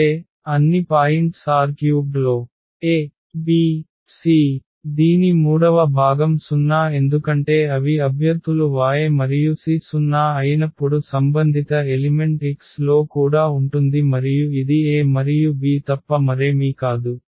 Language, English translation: Telugu, That means, all the points is a b c in R 3 whose the third component is 0 because they are the candidates of the Y and corresponding to when the c is 0 the corresponding element is also there in X and that is nothing but this a and b